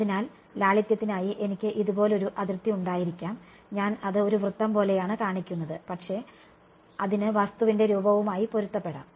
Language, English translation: Malayalam, So, I may have like a boundary like this just for simplicity I am showing it like a circle, but it can take conform to the shape of the thing right